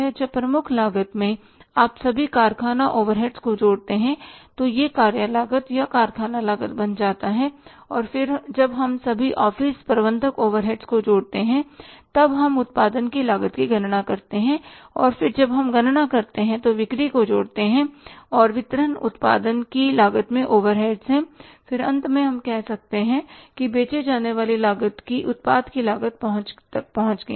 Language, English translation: Hindi, Second cost is the works cost when in the prime cost you add up all factory overheads then it becomes the works cost or the factory cost and then when we add all office and administrative overheads then we calculate the cost of production and then we calculate add up the selling and distribution overheads in the cost of production then finally we say arrive at the cost of the product to be sold in the market or you can call it as cost of sales